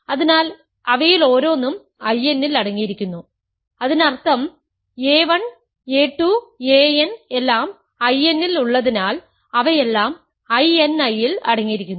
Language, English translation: Malayalam, So, each of them is contained in I n; that means, a 1, a 2, a n are all in I n because they are all in I n I which is further contained in I n